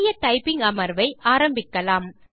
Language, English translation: Tamil, Lets begin a new typing session